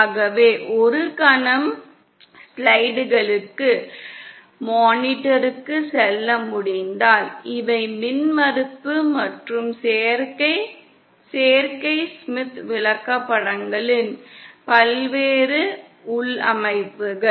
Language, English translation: Tamil, So if we can go back to the slides the monitor for a moment, these are the various configurations of the impedance and admittance Smith charts